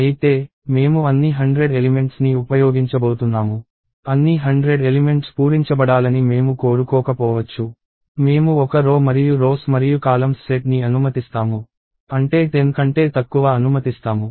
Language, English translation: Telugu, However, I am going to use not all the 100 elements; I may not want all the hundred elements to be filled up; I allow for a row and a set of rows and columns, that is, lesser than 10